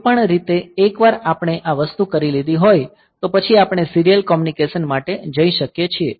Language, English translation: Gujarati, Anyway so, once we have done this thing; so, we can go for the serial communication